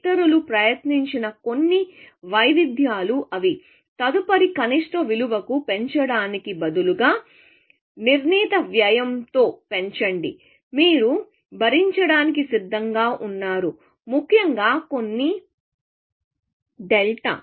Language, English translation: Telugu, So, some variations that people have tried is that; instead of incrementing it by to the next lowest unseen value, increment it by a fixed cost, that you are willing to bear, essentially; some delta